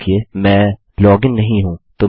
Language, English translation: Hindi, Remember Im not logged in